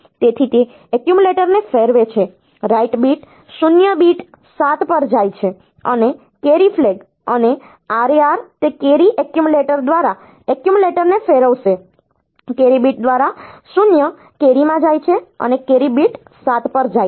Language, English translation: Gujarati, So, it is rotate the accumulator right bit 0 goes to bit 7 and the carry flag, and RAR it will rotate the accumulator through the carry accumulator, through the carry bit 0 goes to the carry and the carry goes to bit 7